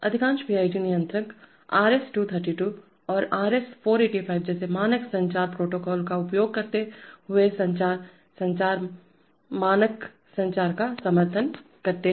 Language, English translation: Hindi, There is, most PID controllers will support communication, communication, standard communication, using standard communication protocols like RS232 and RS485